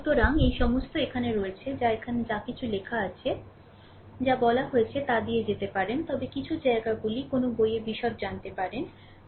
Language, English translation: Bengali, So, all this right up is there, you can go through it whatever I have told everything is written here, but some places, you can find detail in a book